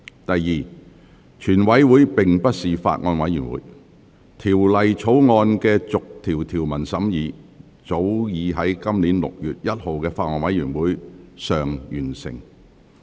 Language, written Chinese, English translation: Cantonese, 第二，全體委員會並非法案委員會，《條例草案》的逐項條文審議早已在今年6月1日的法案委員會會議上完成。, Second the committee of the whole Council is not a Bills Committee . The clause - by - clause examination of the Bill was completed at the Bills Committee meeting on 1 June this year